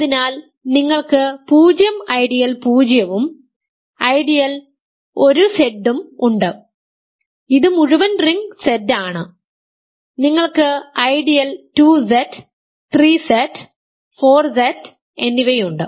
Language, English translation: Malayalam, So, you have 0 ideal 0 and ideal 1Z which is the entire ring Z, you have ideal 2Z, 3Z, 4Z and so, on